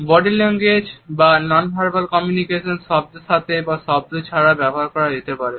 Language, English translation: Bengali, Body language or nonverbal aspects of communication can be used either in addition to words or even independent of words